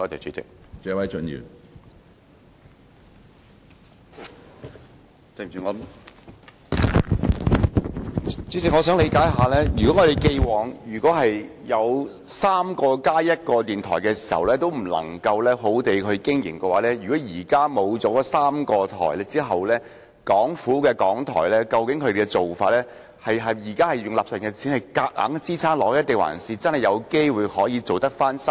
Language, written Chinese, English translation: Cantonese, 主席，我想了解，如果我們過往有3個加1個電台尚且不能妥善地經營，現在失去3個電台後，究竟港台是否正在使用納稅人的錢勉強支撐下去，還是真的有機會可以恢復生機？, President DAB services could not operate well in the past when we had three plus one stations now that three stations have departed is RTHK struggling to survive with taxpayers money or is there a real chance that RTHK will revive?